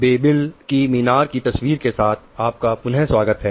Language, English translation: Hindi, So, welcome again with this picture of Tower of Babel